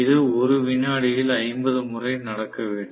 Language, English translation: Tamil, So, it should happen 50 times probably in 1 second, right